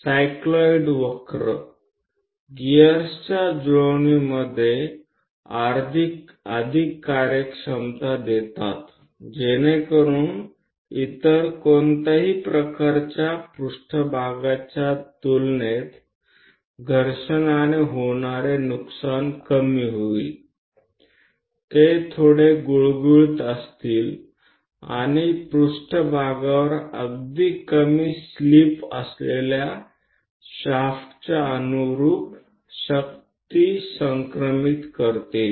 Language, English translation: Marathi, The cycloid curves gives better efficiency in mating the gas so that frictional losses will be bit less compared to any other kind of mating surfaces; they will be bit smooth and transmit power in line with the shaft with very less slip on the surfaces